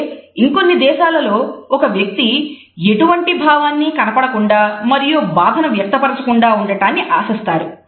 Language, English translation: Telugu, However, in other countries it is expected that a person will be dispassionate and not show grief